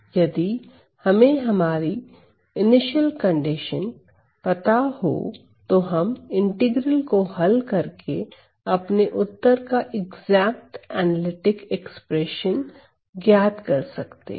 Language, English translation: Hindi, Of course, if we know our initial condition we can exactly solve all these integral to get an exact analytical expressions for our answer